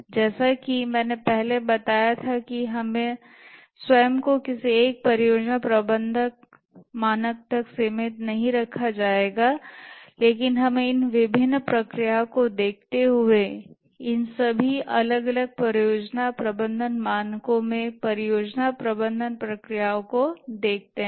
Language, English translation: Hindi, As I told earlier, we will not restrict ourselves to any one project management standard, but we look at these various processes, the project management processes across all these different project management standards